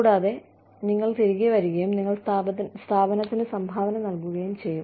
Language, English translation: Malayalam, And, you will come back, and you will, contribute to the organization